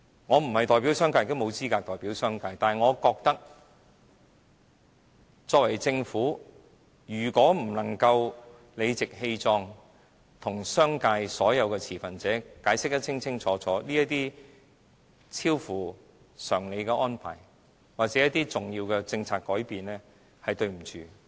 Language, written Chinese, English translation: Cantonese, 我並非代表商界，也沒有資格代表商界，但我認為，作為政府，如果不能夠理直氣壯，向商界所有的持份者清楚解釋這些超乎常理的安排或重要的政策改變，是對不起他們。, I do not represent the business sector nor do I have the capability to do so but I believe if the Government cannot courageously and clearly explain this extraordinary and far - reaching policy change to all stakeholders it does fail its duty to them